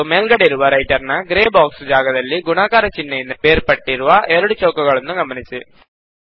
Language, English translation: Kannada, Also in the Writer gray box area at the top, notice two squares separated by the multiplication symbol